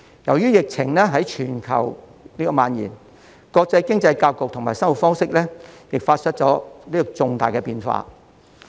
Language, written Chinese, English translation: Cantonese, 由於疫情在全球蔓延，國際經濟格局和生活方式亦發生重大的變化。, The pandemic which has been spreading worldwide has resulted drastic changes in the global economic structure and peoples way of living